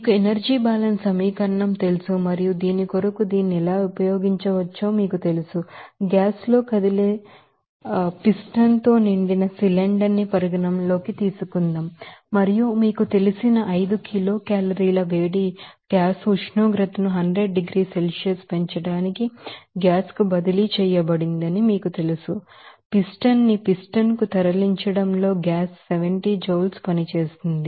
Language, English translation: Telugu, Now, let us do an example particular this you know energy balance equation and how it can be used for this you know internal energy change, let us consider a cylinder which is filled with a you know movable piston with a gas and amount of you know 5 kilocalorie of heat is you know transferred to the gas to raise the gas temperature of 100 degrees Celsius higher the gas does 70 joules of work in moving the piston to its new equilibrium position